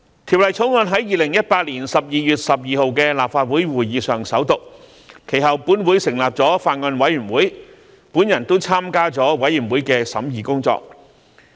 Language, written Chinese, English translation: Cantonese, 《條例草案》在2018年12月12日的立法會會議上首讀，其後本會成立法案委員會，我亦參加了法案委員會的審議工作。, The Bill received its First Reading at the Legislative Council meeting of 12 December 2018 and the Bills Committee was formed afterwards by the Council . I have also participated in the deliberations of the Bills Committee